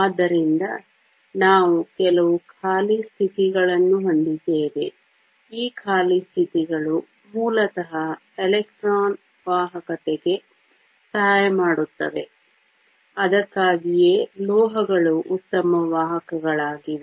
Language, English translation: Kannada, So, we do have some empty states; these empty states basically help in conduction of electrons which is why metals are such good conductors